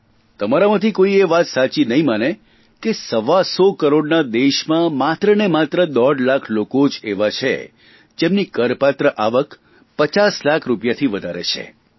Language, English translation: Gujarati, None of you will believe that in a country of 125 crore people, one and a half, only one and a half lakh people exist, whose taxable income is more than 50 lakh rupees